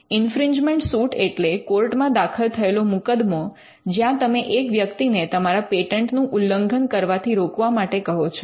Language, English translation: Gujarati, So, infringement suits are the are cases filed before the court where you ask a person to stop infringing your patent